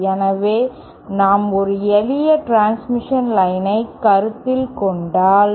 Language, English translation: Tamil, So, what is say the, let us, if we consider a simple transmission line